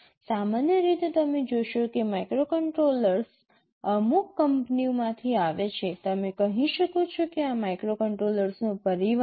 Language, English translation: Gujarati, Typically you will find that microcontrollers come from certain companies; you can say these are family of microcontrollers